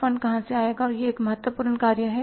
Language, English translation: Hindi, Where the funds will come from that is an important function